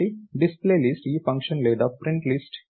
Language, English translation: Telugu, So, DisplayList is this function or PrintList